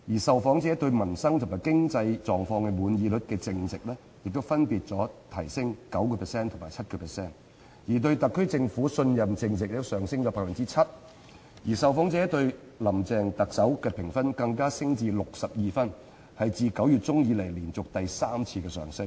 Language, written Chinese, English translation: Cantonese, 受訪者對民生及對經濟狀況滿意率淨值亦分別上升 9% 及 7%， 對特區政府信任淨值也上升 7%， 受訪者對特首"林鄭"的評分更升至62分，是自9月中以來連續第三次上升。, The net satisfaction rates with livelihood and economic conditions increased by 9 % and 7 % respectively and the net trust rate with the SAR Government increased by 7 % . The popularity rating of Chief Executive Carrie LAM among the respondents even increased to 62 the third increase in a row since mid - September